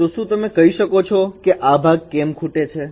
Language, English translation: Gujarati, So can you tell that the why this part is missing